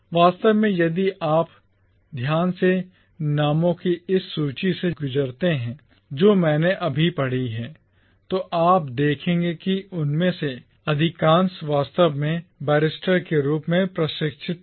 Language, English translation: Hindi, Indeed, if you carefully go through this list of names that I have just read out, you will see that most of them were actually trained as barristers